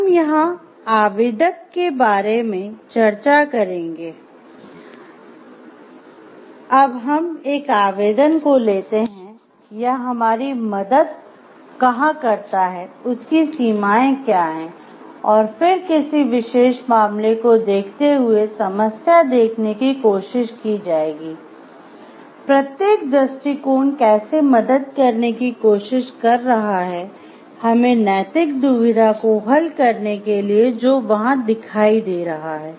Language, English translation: Hindi, So, we will discuss here both the applica while we are talking for application like the till where it is helping us and what is the limitation and then given a particular case study will try to see given a problem, how each of the approach is trying to help us to solve the moral dilemma which is appearing over there